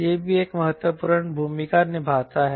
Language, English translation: Hindi, this angle plays an important role